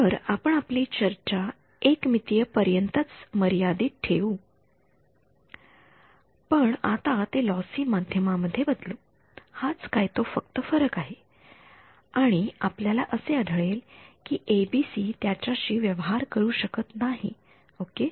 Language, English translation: Marathi, So, we will keep the discussion limited to 1D, but now change it to a lossy medium that is the only difference and here we will find that the ABC is not able to deal with it ok